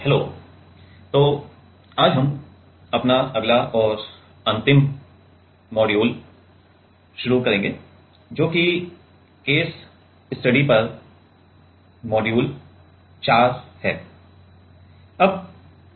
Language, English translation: Hindi, Hello, so, today we will start our next and last module, that is module 4 on case studies